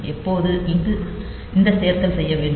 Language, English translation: Tamil, So, when this addition is done